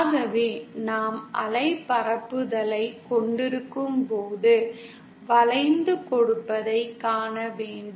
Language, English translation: Tamil, So when we have wave propagation, then we have to come across bending